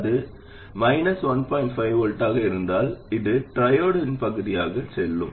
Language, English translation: Tamil, 5 volts this will go into triode region